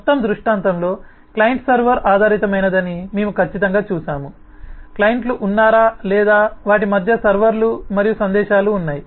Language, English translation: Telugu, certainly, we have seen that the whole scenario is a client server based, whether there are clients, there are servers and messages passing between them